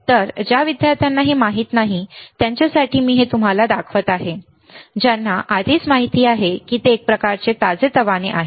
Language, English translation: Marathi, So, for those students who do not know this is what I am showing it to you for those students who already know it is kind of refreshed